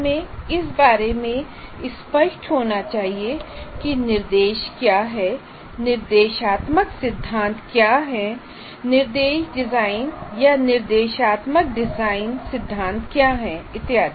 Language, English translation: Hindi, Now, we have to be clear about what is instruction, what are instructional principles, what is instruction design or instruction design theory and so on